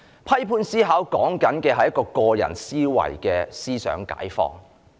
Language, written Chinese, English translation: Cantonese, 批判思考是指個人的思想解放。, Critical thinking refers to the ideological emancipation of individuals